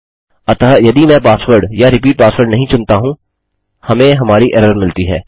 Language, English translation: Hindi, So if I didnt chose a repeat or a password we get our error